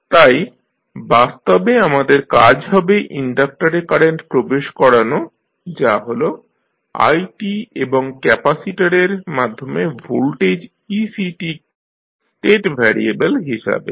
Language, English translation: Bengali, So, the practical approach for us would be to assign the current in the inductor that is i t and voltage across capacitor that is ec t as the state variables